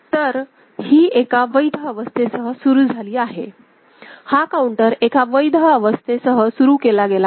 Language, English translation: Marathi, So, it is initialized with one of the valid states, this counter is initialised with one of the valid states